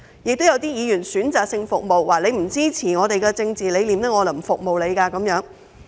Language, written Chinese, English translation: Cantonese, 此外，有些議員則選擇性服務，說市民不支持他們的政治理念便不服務市民。, Moreover some members provide services selectively saying they will not serve members of the public who do not support their political ideologies